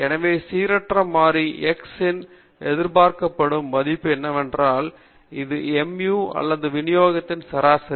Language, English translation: Tamil, So, what is the expected value of the random variable X and that is nothing but the mu or the mean of the distribution